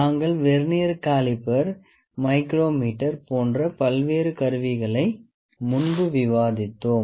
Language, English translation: Tamil, So, we have discussed various instruments before like Vernier caliper, micrometer